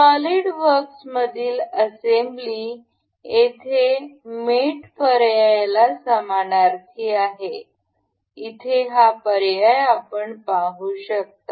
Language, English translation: Marathi, The assembly in this in solidworks is synonymous to mate here; mate option you can see